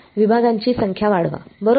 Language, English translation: Marathi, Increase the number of segments right